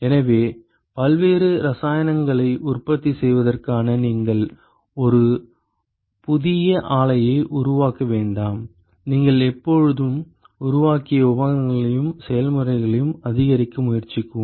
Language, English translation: Tamil, So, in order to manufacture different chemicals you do not construct a new plant you always attempt to maximize the equipments and the process that you have built